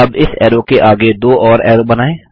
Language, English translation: Hindi, Let us draw two more arrows next to this arrow